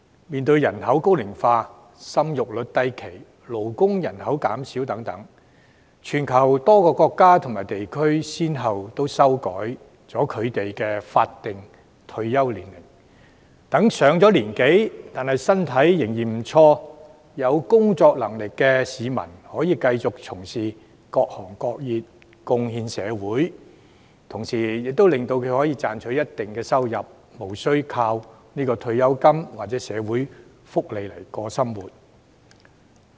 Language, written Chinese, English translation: Cantonese, 面對人口高齡化，生育率低、勞動人口減少等，全球多個國家和地區都先後修改法定退休年齡，讓年長但身體仍然不錯、有工作能力的市民，可以繼續從事各行各業、貢獻社會，同時他們可以賺取一定收入，無須單靠退休金或社會福利來維持生活。, In light of the ageing population low birth rate and dwindling labour force many countries and regions around the world have revised their statutory retirement age so that elderly people who are still in good health and capable of working can continue to do so and contribute to society while earning some income instead of relying solely on pensions or social security for living